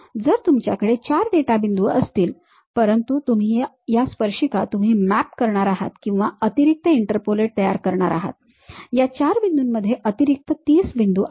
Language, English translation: Marathi, So, you might be having 4 data points, but these tangents you are going to map or construct extra interpolate, extra 30 more points in between these 4 points